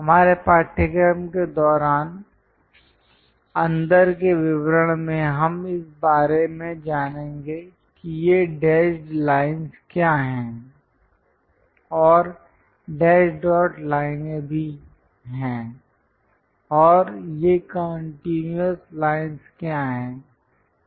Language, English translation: Hindi, These are the inside details during our course we will learn about what are these dashed lines and also dash dot lines and what are these continuous lines also